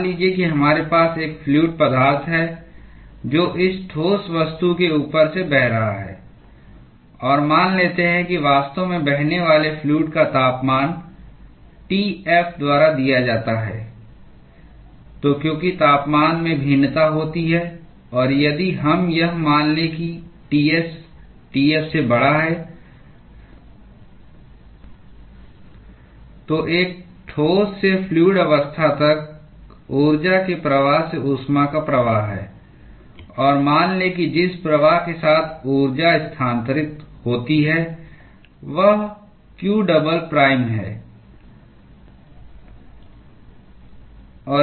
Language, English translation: Hindi, Let us say that we have a fluid which is flowing past this solid object; and let us assume that the temperature of the fluid which is actually flowing is given by T f, then because there is variation in the temperature, and if we assume that let us say T s is greater than T f, then there is a flow of heat from a flow of energy from the solid to the fluid phase; and let us say that the flux with which the energy is transferred is q double prime